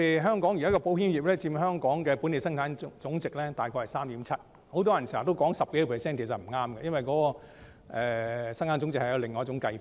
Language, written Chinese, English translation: Cantonese, 香港保險業現時佔本地生產總值約 3.7%； 很多人經常說有 10% 多，其實不正確，因為生產總值有另一種計算方法。, The insurance industry currently accounts for about 3.7 % of Hong Kongs gross domestic product GDP . Many people often say that the share is more than 10 % but this is incorrect because there is another method of calculation for GDP